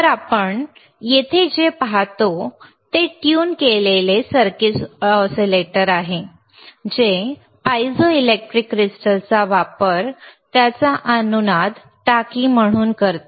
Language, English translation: Marathi, So, what we see here is a tuned circuit oscillator using piezoelectric crystals a as its resonant tank